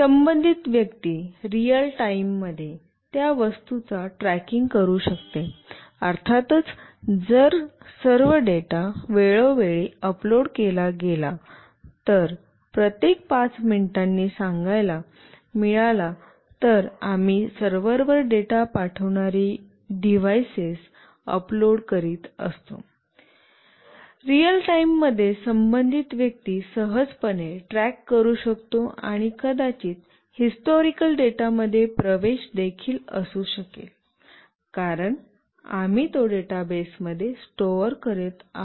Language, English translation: Marathi, The concerned person can track the consignment in real time, of course if all the data is uploaded time to time let us say every 5 minutes, we are uploading the devices sending the data to a server, then the concerned person can easily track the consignment in real time; and may also have access to historical data, because we are storing it in a database